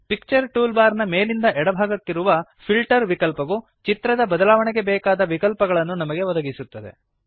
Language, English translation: Kannada, The Filter button at the top left of the Picture toolbar gives several options to change the look of the image